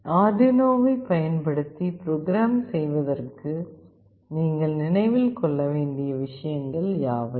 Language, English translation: Tamil, What are the points that you need to remember for programming using Arduino